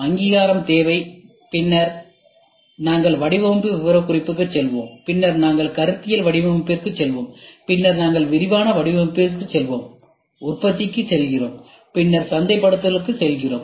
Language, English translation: Tamil, Need recognition, then we go for design specification, then we go for conceptual design, then we go for detail design, we go for production and we then go for marketing